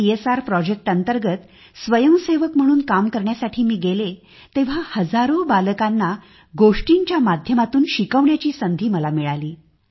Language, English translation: Marathi, Having gone then for voluntary work for CSR projects, I got a chance to educate thousands of children through the medium of stories